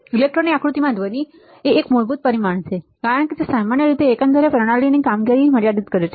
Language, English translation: Gujarati, Noise in fundamental parameter to be considered in an electronic design it typically limits the overall performance of the system